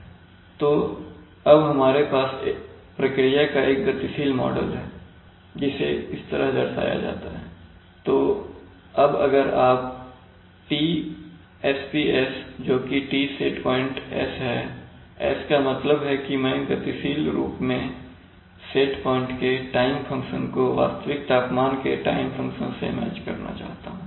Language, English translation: Hindi, So now we have a, we have, we have a dynamic model of the system given by this, just like old times so now if you want to match that is, if you want to make, if you want to make Tsps that is T set point s, s means that, that dynamically I want to match the time function of the set point to the time function of the actual temperatures